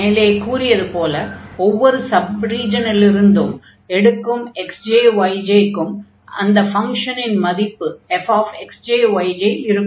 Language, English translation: Tamil, And the there is a point x j, y j in each sub region in corresponding to this point, we have the function value f x j, y j